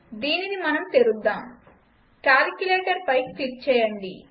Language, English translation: Telugu, Lets open this, click on calculator